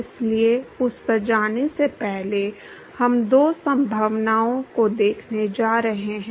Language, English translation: Hindi, So, before we going to that, we going to look at two possibilities